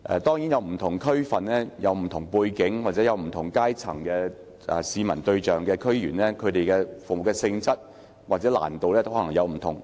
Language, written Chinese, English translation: Cantonese, 當然，不同區份有不同背景，市民對象也可能來自不同階層，區議員服務的性質或難度可能也有所不同。, Certainly different districts have different backgrounds members of the public targeted might also come from different strata and the nature and degree of difficulty of the services provided by DC members might also differ